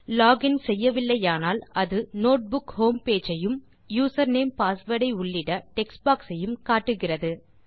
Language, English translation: Tamil, If you are not logged in yet, it shows the Notebook home page and textboxes to type the username and the password